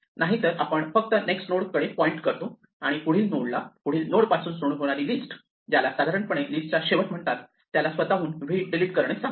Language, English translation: Marathi, Otherwise we just point to the next node and ask the next node, the list starting at the next node, what is normally called the tail of the list, to delete v from itself